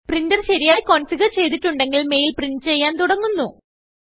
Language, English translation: Malayalam, If your printer is configured correctly, the mail must start printing now